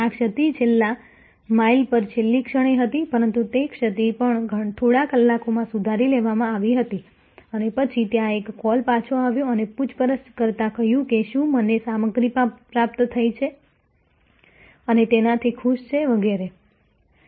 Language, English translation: Gujarati, The lapse was at the last moment at the last mile, but even that lapse was corrected within a few hours and then, there was a call back and said an inquiring whether I received the stuff and happy with it etc